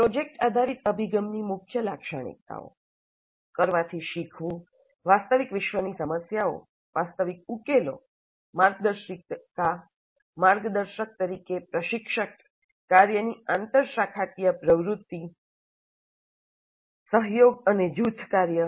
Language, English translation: Gujarati, The key features of project based approach, learning by doing, real world problems, realistic solution, instructor as a guide or a mentor, interdisciplinary nature of the work, collaboration and group work